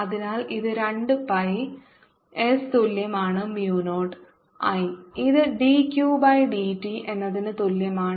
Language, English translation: Malayalam, so this is b into two pi s, which is equals to mu naught i is d q by d t